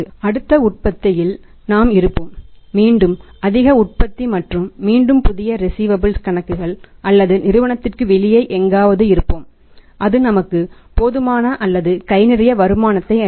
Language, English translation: Tamil, We will be there in to the next lot of the production and again the new accounts receivables or somewhere outside the firm and that is going to give us the sufficient or the handsome amount of the return